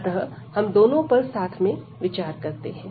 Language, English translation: Hindi, So, we considering both together here